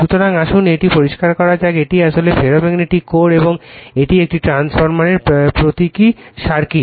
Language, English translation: Bengali, So, let me clear it so, this is actually ferromagnetic core and this is your the your circuit symbol of a transformer